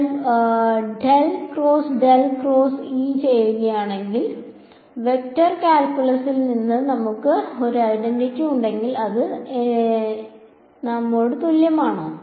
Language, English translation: Malayalam, If I do del cross del cross E and we have an identity from the vector calculus which tell us this is equal to